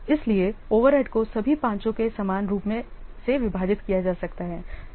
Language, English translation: Hindi, So, the overhead may be equally divided among all the five